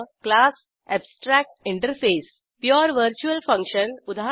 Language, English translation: Marathi, class abstractinterface Pure virtual function eg